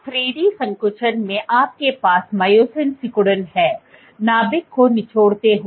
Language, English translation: Hindi, So, in 3D contractile you have myosin contractility, squeezing the nucleus